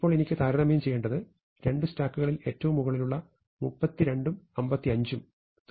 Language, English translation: Malayalam, Now I have to compare, what is the top most elements in the two stacks; can be 32 and 55